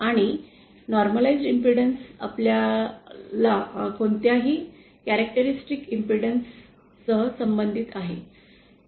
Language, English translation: Marathi, And normalised impedance corresponds to whatever our characteristic impedance is